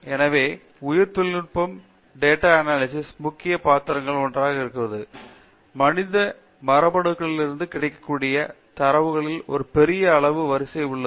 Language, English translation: Tamil, So, in which biotechnology place one of the major roles in large data analysis because there is a huge amount of sequence in data available from human genomes